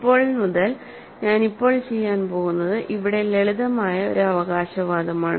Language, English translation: Malayalam, And now, since; what I am now going to do is a simple claim here